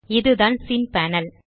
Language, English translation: Tamil, This is the scene panel